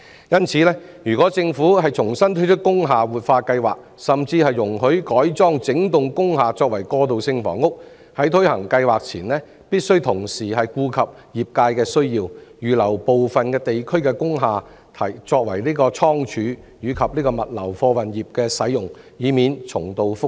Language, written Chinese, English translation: Cantonese, 因此，如果政府重新推出工廈活化計劃，甚至容許改裝整幢工廈為過渡性房屋，在推行計劃前，必須同時顧及業界的需要，預留部分地區的工廈作為倉儲設施，供物流貨運業使用，以免重蹈覆轍。, Therefore if the Government is going to resume the industrial building revitalization scheme or even allow conversion of the whole block of industrial buildings into transitional housing before putting the scheme into implementation it must take into account the needs of the trades and reserve the industrial buildings in part of the areas as storage facilities for use by the freight and logistic sectors to avoid repeating the mistakes